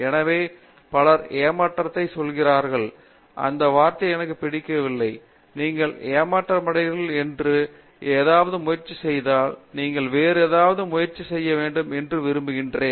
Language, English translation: Tamil, So, many people say frustration, I donÕt like that word, I prefer to use the word disappointment you try something it doesnÕt work out you are disappointed, you want to try something else